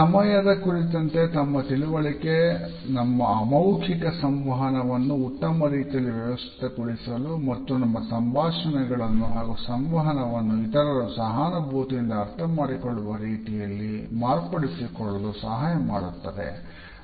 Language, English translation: Kannada, Our understanding of time helps us to organize our nonverbal communication in a better way and to modulate our dialogue and conversations in such a way that the other people can also empathetically understand it